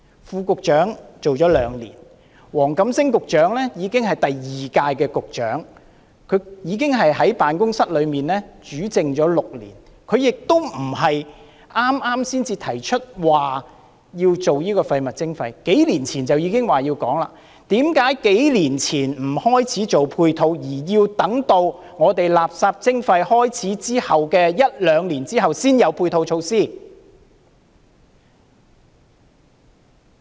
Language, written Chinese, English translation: Cantonese, 副局長做了兩年，黃錦星局長也已經做了兩屆局長，已在辦公室內主政6年，亦不是剛剛才提出落實垃圾徵費，數年前已表示要落實，那為何數年前不開始制訂配套，而要等到垃圾徵費開始後一兩年，才有配套措施？, The Under Secretary has been in office for two years while Secretary WONG Kam - sing has already held the position for two terms and been in charge of the Bureau for six years . The implementation of waste charging is something proposed not recently but several years ago . So why did the authorities fail to draw up any supporting measures several years ago and delayed it until one or two years after the implementation of waste charging?